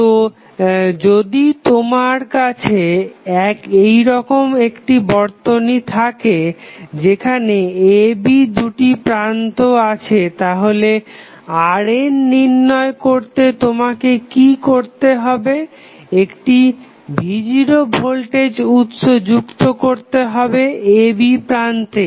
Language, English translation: Bengali, So, suppose if you have the network like this, where you have 2 terminals AB now, what you have to do to find the value of R n you have to connect a voltage source V naught across terminal AB